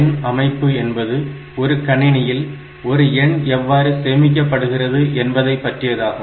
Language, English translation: Tamil, So, number system, this talks about how a number is stored inside the computer system